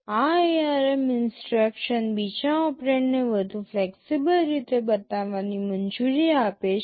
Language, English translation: Gujarati, This ARM instruction allows the second operand to be specified in more flexible ways